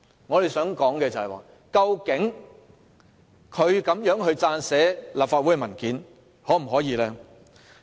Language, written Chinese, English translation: Cantonese, 我想問的是，究竟他可否以這種方式撰寫立法會文件？, I would like to ask whether he can draft a document of the Legislative Council in this way